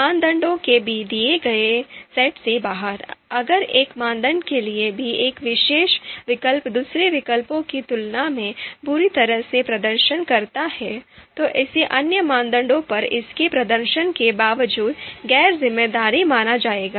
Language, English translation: Hindi, So out of you know given set of you know criteria if even for one criterion a particular alternative performs badly in comparison to another alternative, then it would be considered outranked you know you know despite you know irrespective of its performance on other criteria